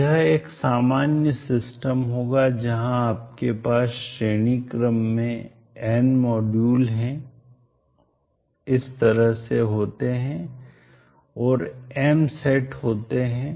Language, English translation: Hindi, So this will be a generic system where you have n modules in series like this and there are M sets so is 1, 2 so on M set